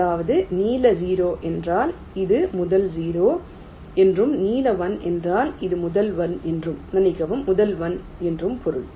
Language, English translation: Tamil, similarly, blue zero means this is the first zero and blue one means this is the ah